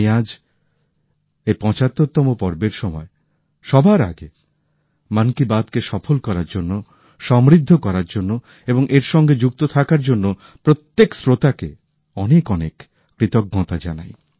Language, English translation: Bengali, During this 75th episode, at the outset, I express my heartfelt thanks to each and every listener of Mann ki Baat for making it a success, enriching it and staying connected